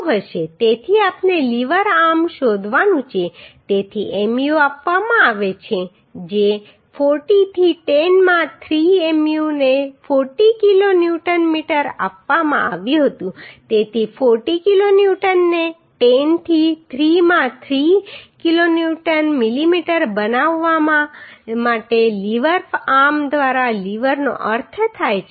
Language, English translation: Gujarati, So we have to find out lever arm right so Mu is given which is 40 into 10 to power 3 uhh Uhh Mu was given 40 kilo Newton metre so 40 kilo Newton into 10 to the 3 to make it kilo Newton millimetre by lever arm lever means 300 is the depth of the uhh I section plus 6 mm is the plate thickness